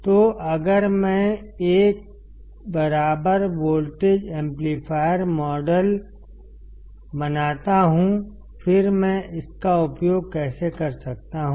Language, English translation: Hindi, So, if I make an equivalent voltage amplifier model; then how can I use it